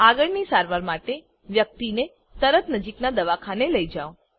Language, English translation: Gujarati, Shift the person quickly to the nearest hospital for further treatment